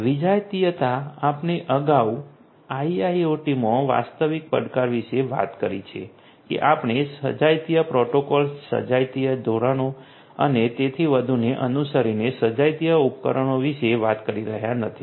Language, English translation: Gujarati, Heterogeneity also we have talked about earlier the real challenge in IIoT is that we are not talking about homogeneous devices following you know homogeneous protocols homogeneous standards and so on